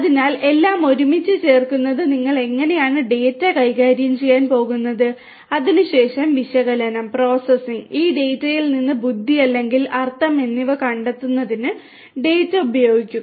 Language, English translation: Malayalam, So, putting everything together is how you are going to manage the data and thereafter use the data for analysis, processing, analysis and deriving intelligence or meaning out of this data